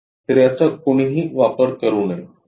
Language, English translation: Marathi, So, this one should not be used